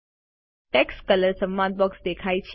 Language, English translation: Gujarati, The Text Color dialog box appears